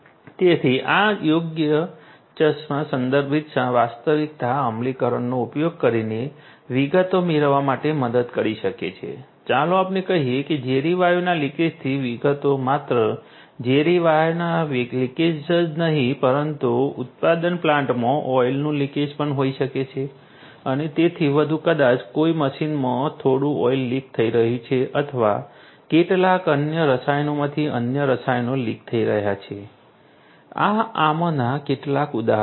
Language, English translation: Gujarati, So, these glasses could help using suitable augmented reality implementations to get details of let us say details of leakage of toxic gases toxic gases, leakage of not just toxic gases, but also may be leakage of oil in a manufacturing plant maybe some machine some oil is getting leaked and so on or maybe some other chemicals leakage of other chemicals these are some of these examples